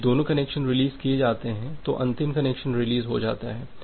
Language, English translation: Hindi, So, when both one is released the connection, then the final connection will get released